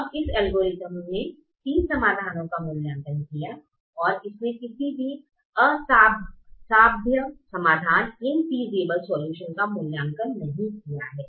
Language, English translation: Hindi, it evaluated three solutions, but it did not evaluate any infeasible solution